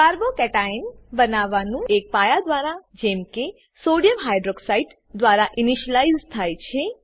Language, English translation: Gujarati, Formation of a Carbo cation is initialized by a base like Sodium Hydroxide